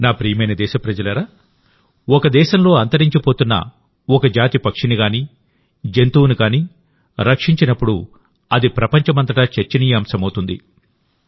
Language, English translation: Telugu, My dear countrymen, when a species of bird, a living being which is going extinct in a country is saved, it is discussed all over the world